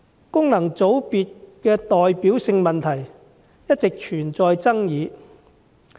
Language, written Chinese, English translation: Cantonese, 功能界別的代表性問題一直存在爭議。, The representativeness of FCs has always been controversial